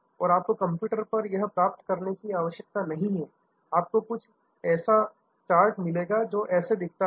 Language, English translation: Hindi, So, you do not have to get this on the computer, you will get a charts something that looks like this